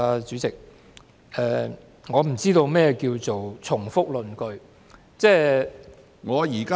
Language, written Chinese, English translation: Cantonese, 主席，我不知道何謂重複論據。, President I have no idea what you meant by repeating arguments